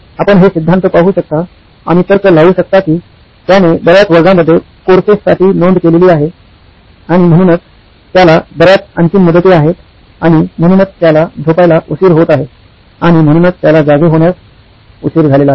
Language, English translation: Marathi, You can see the rationale lead me to belief that since he has signed up for too many classes, courses and hence he has too many deadlines and hence he is late to bed and hence late to wake up and hence he is also late to my class